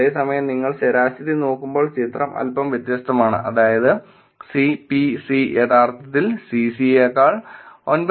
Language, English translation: Malayalam, So, the total gives you a picture, whereas when you look at an average it is actually the picture is slightly different which is C P C is actually 9